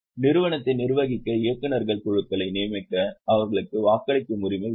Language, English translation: Tamil, They have a voting right to appoint the board of directors for managing the company